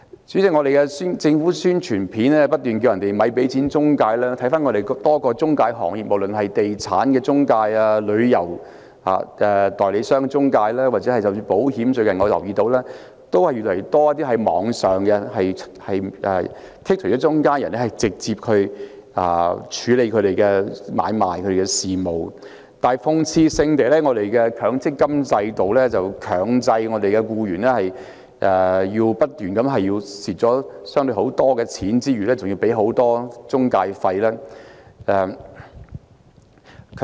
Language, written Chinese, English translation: Cantonese, 主席，政府的宣傳片不斷呼籲市民別給錢中介，但在本港多個中介行業中——無論是地產中介、旅遊代理商中介或者保險中介——都越來越多人透過網絡剔除中間人，直接處理他們的買賣和事務，但諷刺性地，我們的強積金制度卻強迫我們的僱員一邊不斷虧蝕，一邊支付巨額中介費用。, President the Announcements of Public Interests of the Government keep advising people not to give money to intermediaries . More and more people have skipped intermediaries such as real estate agent travel agent or insurance agent and directly deal with their transactions and affairs through the Internet . Ironically the MPF system forces employees to keep incurring losses while paying huge intermediary fees